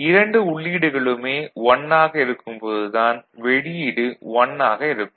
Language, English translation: Tamil, And when both the inputs are 0, the output will be 1 ok